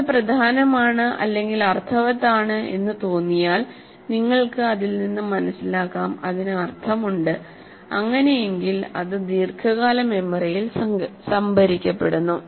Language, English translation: Malayalam, And if you find it important, like it has sense, you can make sense out of it and it has meaning, it gets stored in the long term memory